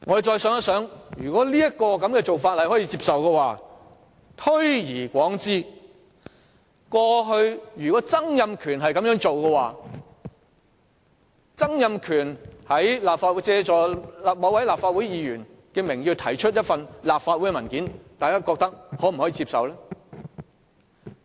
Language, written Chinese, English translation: Cantonese, 再想想，如果這種做法可以接受的話，如此推論，如果前特首曾蔭權同樣借某位議員的名義提交立法會文件，大家又會否接受？, If this approach is acceptable and adopting the same principle would members of the public find it acceptable for former Chief Executive Donald TSANG to similarly submit a Council document in the name of a Member?